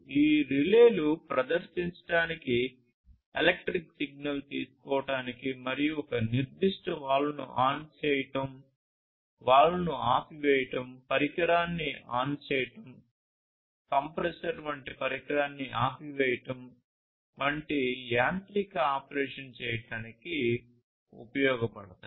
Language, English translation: Telugu, So, you know, these relays are very much useful for, performing, taking an electric signal and performing some kind of mechanical option; sorry mechanical operation such as turning on a particular valve, turning off a valve, turning on a device such as a compressor, turning off a device such as a compressor and so on